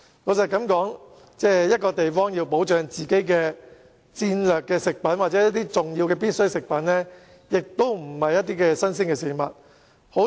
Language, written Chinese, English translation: Cantonese, 老實說，某地方要保障自己的戰略食品或重要的必需食品，並非新鮮事情。, Honestly it is nothing new for a place to protect its strategic food supplies or important necessities